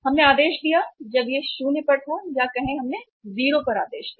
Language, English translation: Hindi, We placed the order when it was say something say above 0 we placed the order